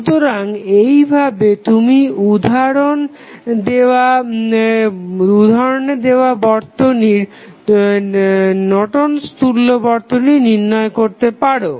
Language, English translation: Bengali, So, in this way you can find out the Norton's equivalent of the circuit which was given in the example